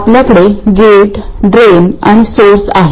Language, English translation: Marathi, We have the gate, drain and source